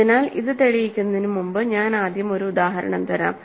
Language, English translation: Malayalam, So, before I prove this let me first give you one example